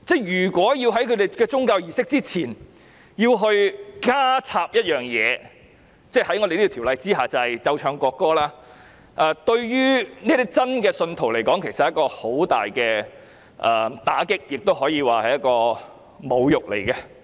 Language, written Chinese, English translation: Cantonese, 如果在他們的宗教儀式之前要加插一件事——在《條例草案》下，便是奏唱國歌——對於他們是一個很大的打擊，也可以說是侮辱。, If one thing has to be added before their religious services―it is the playing and singing of the national anthem under the Bill―it would be a great shock to them and can also be regarded as an insult